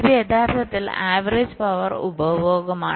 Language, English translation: Malayalam, this is actually the average power consumption